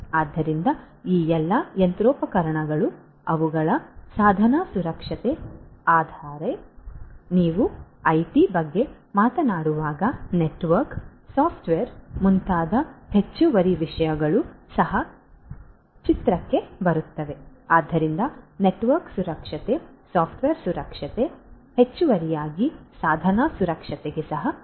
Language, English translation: Kannada, So, all these machinery, their device security, but when you talk about IT additional things such as the network, the software, etcetera also come into picture; so, network security, software security, addition additionally in addition to the device security are also important